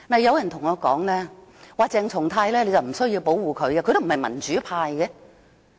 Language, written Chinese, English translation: Cantonese, 有人對我說不用保護鄭松泰議員，因為他不屬民主派。, Someone told me it was not necessary for me to protect Dr CHENG Chung - tai as he was not a member of the pro - democracy camp